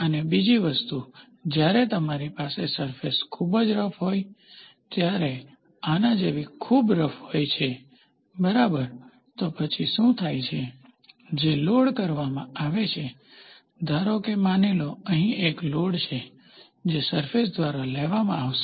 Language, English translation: Gujarati, And second thing, when you have surfaces which are very rough, something like this very rough, ok, so then what happens, the load which is taken, suppose let us assume, here is a load which is to be taken by a surface